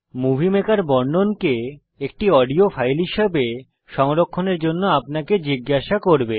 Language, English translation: Bengali, Movie Maker will ask you to save the narration as an audio file on your computer